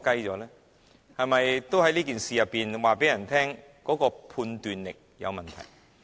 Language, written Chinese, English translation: Cantonese, 他是否也在告訴大家，他的判斷力有問題？, Is he telling us there is something wrong with his judgment?